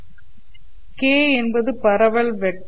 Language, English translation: Tamil, So what will be my K vector